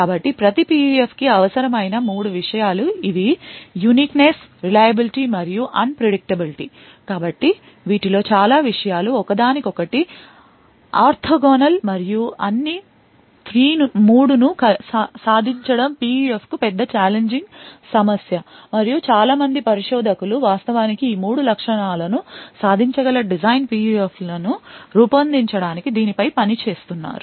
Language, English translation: Telugu, So, these are the 3 things the uniqueness, reliability, and the unpredictability that is required for every PUF, So, many of these things are orthogonal to each other and achieving all 3 and the same PUF is extremely challenging problem and a lot of researchers are actually working on this to actually create design PUFs which could achieve all of these 3 features